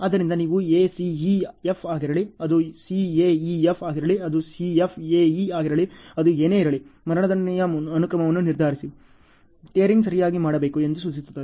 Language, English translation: Kannada, So you should decide whether it is the ACEF, whether it is CAEF, whether it is CFAE, whatever it is, decide the sequence of execution, which implies tearing has to be done ok